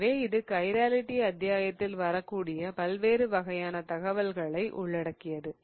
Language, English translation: Tamil, So, that pretty much covers the various different types of problems that can arrive on chirality chapter